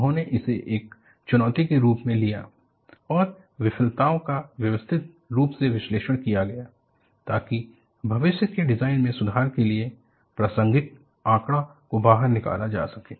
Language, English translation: Hindi, They took this as a challenge and the failures were systematically analyzed to cull out relevant data; to improve future design